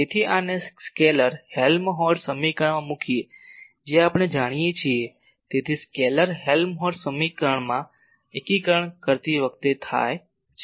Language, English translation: Gujarati, So, putting these in the scalar Helmholtz equation which we are doing, so in scalar Helmholtz equation while integrating